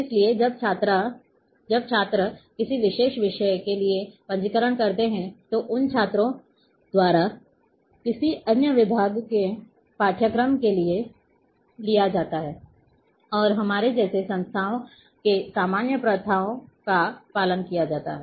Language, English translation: Hindi, So, when the students register for a particular subject then for course of another department can be taken by those students and this is what the normal practises being followed in institute like ours